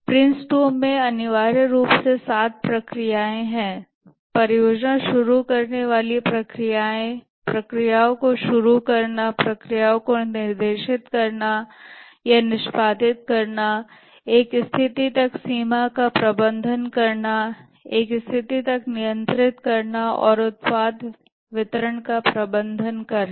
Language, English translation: Hindi, There are essentially seven processes in Prince II, the project starting processes, initiating processes, directing processes, managing a stage boundary, controlling a stage and managing product delivery